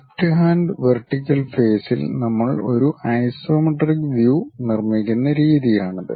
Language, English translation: Malayalam, This is the way we construct isometric view in the left hand vertical face